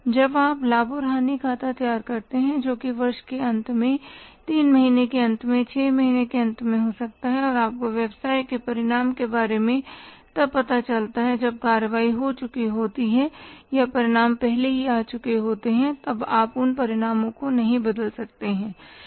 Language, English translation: Hindi, When you prepare the profit and loss account maybe at the end of year, at the end of three months at the end of six months, you come to know about the results of the business when the action has already been taken or the results have already come